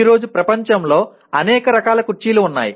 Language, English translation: Telugu, There are number of/ any varieties of chairs in the world today